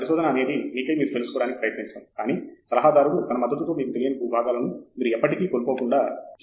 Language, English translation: Telugu, Research is all about trying to find out by yourself, but with the support of an advisor who will make sure that you are not lost in the unknown territories forever